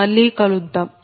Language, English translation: Telugu, we will come again